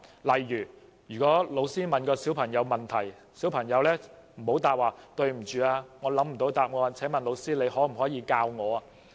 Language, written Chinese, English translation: Cantonese, 例如，小朋友不要在老師提出問題後回答："對不起，我想不到答案，請問老師可不可以教我呢？, For instance small children should not answer in this manner when being asked questions by teachers Excuse me I do not know the answer . Can you teach me please?